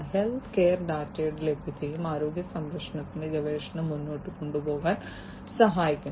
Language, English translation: Malayalam, Availability of healthcare data also helps in advancing health care research